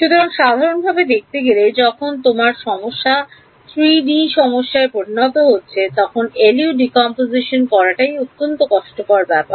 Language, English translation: Bengali, So, typically when your problem becomes a 3 dimensional problem, doing this LU decomposition itself becomes very tedious